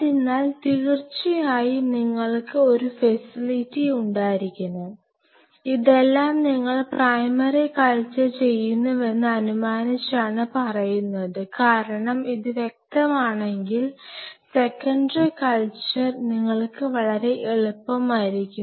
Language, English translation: Malayalam, So, you have to have a facility in the case of course, these are all assuming that you are doing primary culture, because if this is clear to you then the secondary cultures and all will be very easy to you